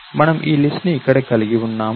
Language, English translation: Telugu, So, we have this list over here